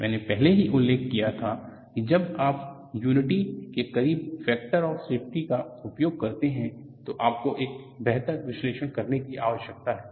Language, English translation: Hindi, I had already mentioned that when you use the factor of safety closer to unity, then you need to have better analysis